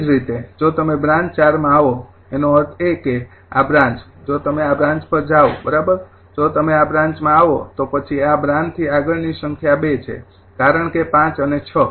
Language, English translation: Gujarati, similarly, if you come to branch four, that means this branch, if you come to this branch, right, if you come to this branch, then that total number of beyond this branch is two because five and six